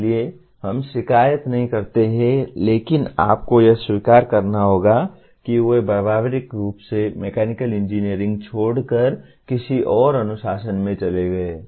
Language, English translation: Hindi, So we do not complain but you have to acknowledge that they have left practically the mechanical engineering and went into some other discipline